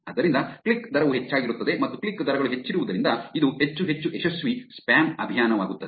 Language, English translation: Kannada, So, that is why the click rate is high and as the click rates are higher, it will actually become more and more a successful spam campaign